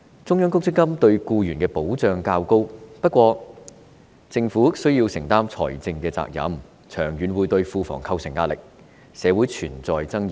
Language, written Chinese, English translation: Cantonese, 中央公積金制度對僱員的保障較高，但政府需要承擔財政責任，長遠會對庫房構成壓力，社會存在爭議。, While a Central Provident Fund system would have provided greater protection for employees it would also have required the Government to bear the financial responsibility exerting pressure on the Treasury in the long run